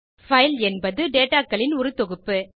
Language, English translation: Tamil, File is a collection of data